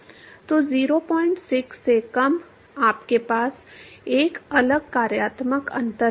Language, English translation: Hindi, 6 you have a different functional difference